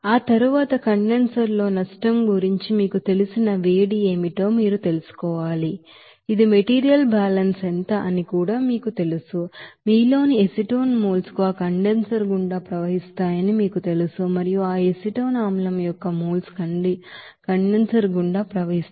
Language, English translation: Telugu, And after that you know you have to find out what will be the you know heat you know loss in the condenser that also calculate by you know material balance what will be the amount of you know that moles of acetone in you know flowing through that condenser and also what will be the moles of that acetic acid is flowing through the condenser